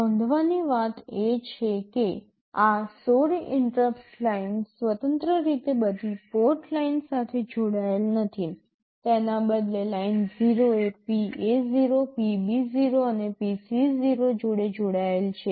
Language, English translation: Gujarati, The point to note is that these 16 interrupt lines are not independently connected to all the port lines, rather Line0 is connected to PA0, PB0 and also PC0